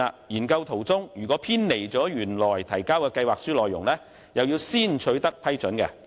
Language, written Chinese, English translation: Cantonese, 研究中途若偏離原先提交的計劃書內容，必須先取得批准。, Approval must first be sought should the research deviate midway from the contents of its originally submitted proposal